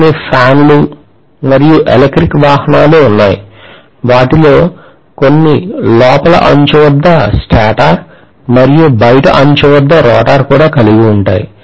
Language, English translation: Telugu, There are fans, electric vehicle; some of them will have stator at the inner periphery and rotor at the outer periphery also